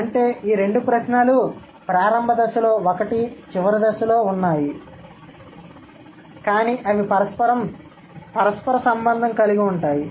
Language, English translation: Telugu, So, that means these two questions, they are, one is at the initial stage, one is at the final stage, but they are interrelated